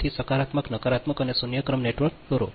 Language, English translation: Gujarati, so draw the positive, negative and zero sequence network positive